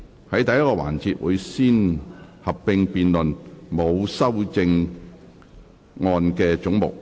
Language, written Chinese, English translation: Cantonese, 在第一個環節，會先合併辯論沒有修正案的總目。, In the first session there will be a joint debate on heads with no amendment